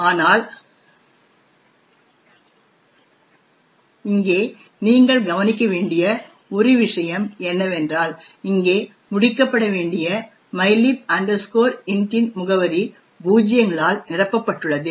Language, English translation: Tamil, But, one thing you will notice over here is that the address for mylib int which was supposed to be over here is filled with zeros